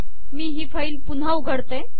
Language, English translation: Marathi, Lets open this file here